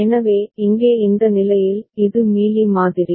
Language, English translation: Tamil, So, here in this state, this is the Mealy model